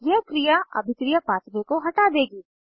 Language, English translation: Hindi, This action will remove the reaction pathway